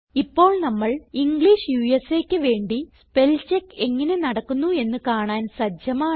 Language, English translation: Malayalam, So we are now ready to see how the spellcheck feature works for the language, English USA